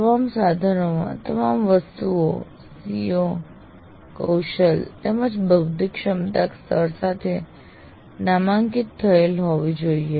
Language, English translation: Gujarati, The all items in all instruments should be tagged with COs, competency and cognitive levels